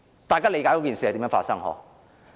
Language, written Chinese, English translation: Cantonese, 大家理解事情如何發生吧？, Do Members understand how things have developed?